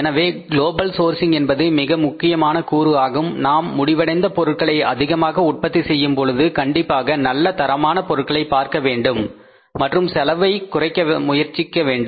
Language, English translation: Tamil, So, global sourcing is a very important component when we have to say produce the finished product in bulk then certainly we should look for the best quality of the material and try to minimize the cost of production